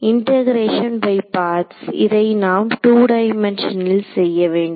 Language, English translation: Tamil, So, integration by parts is what we will have to do, but in two dimensions